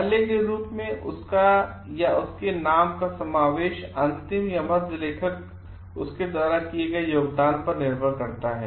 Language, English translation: Hindi, Inclusion of his or her name in as the first last or middle authors depends upon the contribution made by him